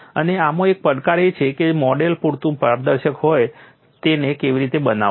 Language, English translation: Gujarati, And one of the challengers in this is how to make a model which is transparent enough